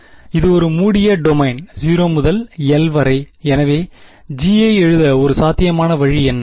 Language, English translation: Tamil, It is over a closed domain 0 to l right, so what would you what is one possible way of writing this G